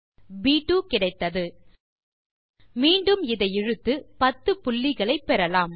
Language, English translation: Tamil, I can again drag this and I get 10 points here